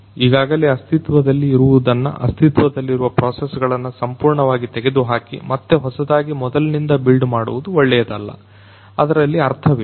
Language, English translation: Kannada, Something is already existing, there is no point in completely removing the existing processes and building things from scratch that is not good